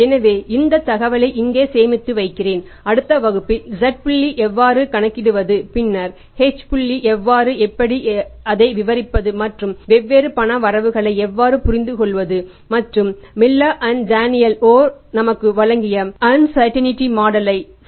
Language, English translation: Tamil, So, with this information we have kept this information here, I have stored this information here and in the next class we will learn how to calculate the Z point and then to the H point and how to interpret that and how to understand the different cash limits and the implementation of the uncertainty, uncertainty model given to us by Miller and R